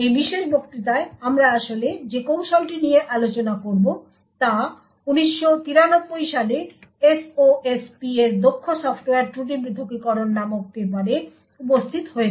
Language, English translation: Bengali, The techniques that we will be actually discussing in this particular lecture is present in this paper efficient Software Fault Isolation in SOSP in 1993